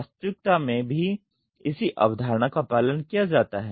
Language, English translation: Hindi, The same concept can be followed in reality also